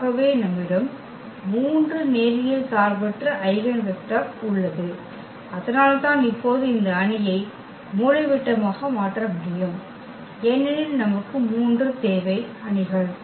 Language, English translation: Tamil, So, we have 3 linearly independent linearly independent eigenvector and that is the reason now we can actually diagonalize this matrix because we need 3 matrices